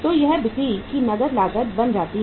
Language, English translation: Hindi, So this becomes the cash cost of sales